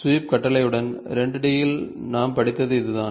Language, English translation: Tamil, This is the same thing what we studied in the 2 D with sweep command